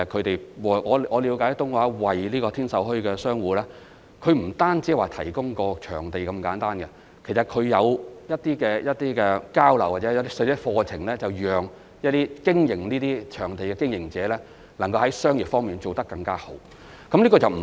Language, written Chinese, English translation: Cantonese, 據我了解，東華三院不單為天秀墟的商戶提供場地那麼簡單，其實它還會舉辦一些交流活動或課程，讓經營這些場地攤檔的經營者能夠在商業方面做得更好。, As Members know in fact TWGHs As far as I know TWGHs not only serve as the venue provider for the stalls at Tin Sau Bazaar but also organize some exchange activities or courses for people operating the stalls at the venue so as to enable them to perform better in their businesses